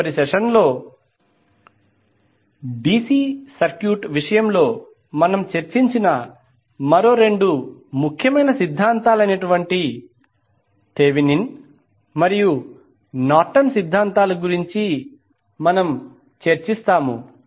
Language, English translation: Telugu, In next session, we will discuss about two more important theorems which we discuss in case of DC circuit that are your Thevenin's and Norton’s theorem